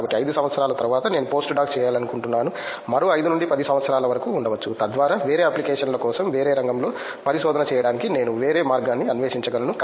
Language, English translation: Telugu, So, after 5 years may be I wanted to do post doc may be another 5 to 10 years down the line, so that I can explore a different way of doing research in different field for a different applications